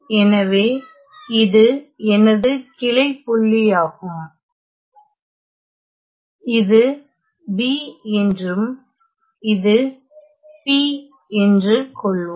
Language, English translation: Tamil, So, this is my branch point let us say that this is B and this is at P ok